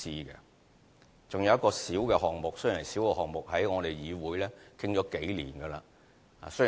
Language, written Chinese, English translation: Cantonese, 還有一個小項目，雖然是一個小項目，但在議會已討論了數年。, Besides there is a minor project . Although it is a minor project it has been discussed by this Council for a few years